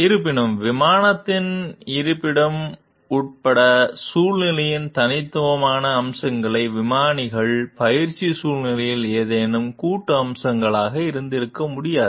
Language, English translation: Tamil, The unique features of the situation, including the location of the plane, could not have been joint features of any of the pilots training situations, however